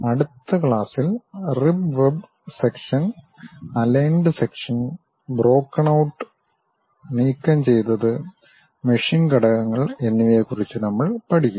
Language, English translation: Malayalam, In the next class we will learn about rib and web sections, aligned sections, broken out, removed and machine elements